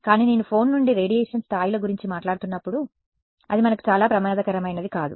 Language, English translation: Telugu, But when I am talking about the radiation levels from a phone it is ok, it is not something very dangerous for us